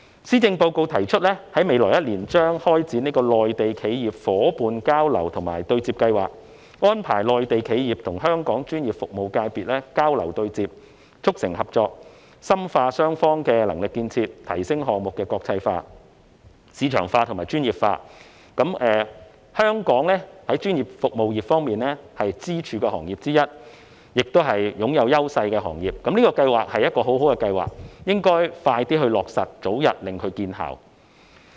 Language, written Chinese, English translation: Cantonese, 施政報告提出在未來一年將開展內地企業伙伴交流及對接計劃，安排內地企業與香港專業服務界別交流對接，促成合作，並深化雙方的能力建設，提升項目的國際化、市場化和專業水平化。專業服務業是香港的支柱行業之一，亦是具有優勢的行業。有關計劃是一項很好的計劃，應該盡快落實，讓它早日發揮效果。, As proposed in the Policy Address a Mainland Enterprises Partnership Exchange and Interface Programme will be launched in the coming year to facilitate exchanges and networking that foster cooperation between Hong Kongs professional services sector and Mainland enterprises strengthen the capacity building of both sides and enhance the international outlook market orientation and professional standards of various projects